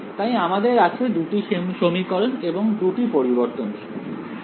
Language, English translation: Bengali, So, these are 2 equations, 2 variables